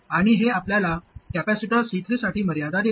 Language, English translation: Marathi, Now, we still have this capacitor C3 that is left